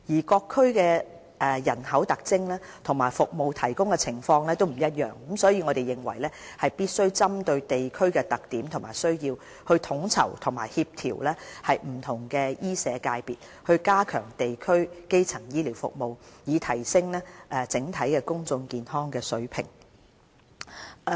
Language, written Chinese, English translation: Cantonese, 各區的人口特徵和服務提供的情況不一樣，所以我們認為必須針對地區的特點和需要，統籌和協調不同醫社界別，加強地區基層醫療服務，以提升整體公眾健康的水平。, In view of the different demographic profile and service delivery mode among districts we will need to enhance coordination among various medical and social sectors and strengthen district - level primary health care services on the basis of the needs and characteristics of individual districts so as to enhance the overall public health